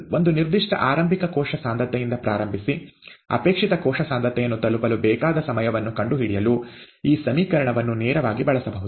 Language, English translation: Kannada, This equation can directly be used to find the time that is needed to reach a desired cell concentration, starting from a certain initial cell concentration